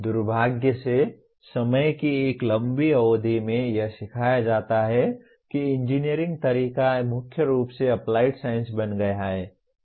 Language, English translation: Hindi, Unfortunately over a long period of time, engineering way it is taught has predominantly become applied science